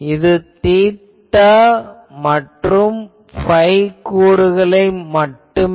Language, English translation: Tamil, So, there are only theta phi component